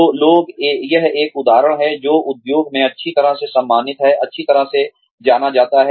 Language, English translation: Hindi, So, people, this is an example, that is well respected, well known in the industry